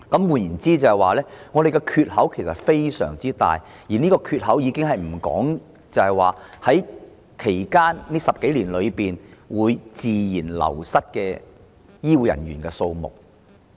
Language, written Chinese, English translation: Cantonese, 換言之，我們的缺口非常大，而這尚未計算未來10多年間自然流失的醫護人員數目。, In other words we will have a huge staffing gap which has not yet taken into account the natural wastage of health care workers in the coming decade or so